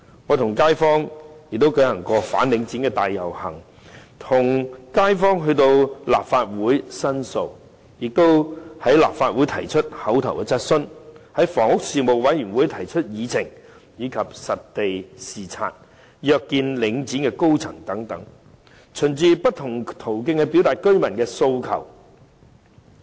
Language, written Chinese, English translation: Cantonese, 我和區內街坊曾舉行反領展大遊行，並與街坊一起前來立法會申訴，而我在立法會亦提出口頭質詢，在房屋事務委員會也曾提出議程項目，以及實地視察和約見領展高層等，循不同途徑表達居民的訴求。, I together with the local residents organized a rally to oppose Link REIT and we came to the Legislative Council to lodge complaints . I also asked an oral question in the Legislative Council proposed an item for discussion in the Panel on Housing conducted on - site visits and arranged for meetings with the senior management of Link REIT with a view to conveying the residents demands through various channels